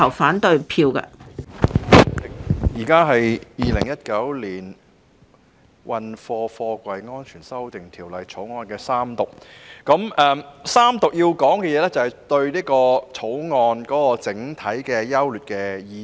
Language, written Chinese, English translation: Cantonese, 主席，現時是《2019年運貨貨櫃條例草案》的三讀階段，我要說的是對《條例草案》整體優劣的意見。, President it is now the Third Reading stage of the Freight Containers Safety Amendment Bill 2019 the Bill so I have to give my views on the general merits of the Bill